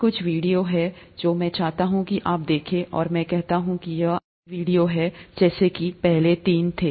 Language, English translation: Hindi, There are a couple of videos that I’d like you to see and I say that these are essential videos to see, so were the first three